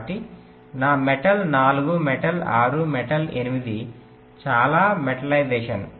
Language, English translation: Telugu, so metal four, metal six, metal eight, so many, metallization